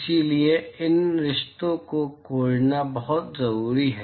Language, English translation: Hindi, So, it is very important to find these relationships